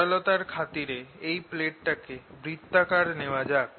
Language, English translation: Bengali, let's take this plate to be circular